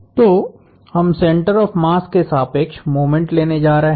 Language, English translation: Hindi, So, we are going to take moments about the center of mass